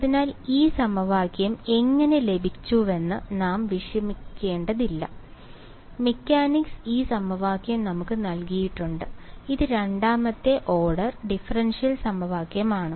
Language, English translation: Malayalam, So, we need not worry how we got this equation right; mechanics has given this equation to us which is the second order differential equation right